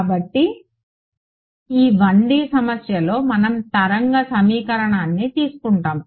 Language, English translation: Telugu, So, this 1D problem we will take the wave equation ok